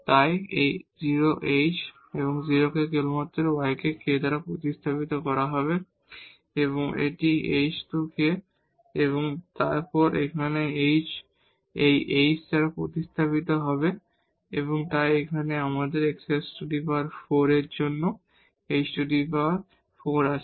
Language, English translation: Bengali, So, this f h k will be just simply this y will be replaced by k and this is h square k and then here h will be replaced by this h, so here we have h power 4 for this x 4